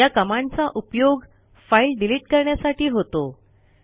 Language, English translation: Marathi, This command is used for deleting files